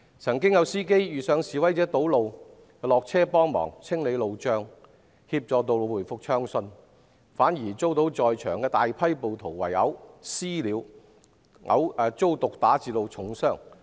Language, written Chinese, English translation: Cantonese, 曾經有司機遇上示威者堵路，便下車清理路障，協助道路回復暢順，卻反遭在場的大批暴徒"私了"，圍毆毒打至重傷。, It happened that when the protesters blocked the road and the drivers got out of their cars to clear the roadblocks for the traffic to resume many drivers were subject to vigilantism and were to severely injured by the rioters on the scene